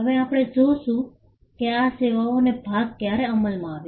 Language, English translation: Gujarati, Now, we will see when the services part came into being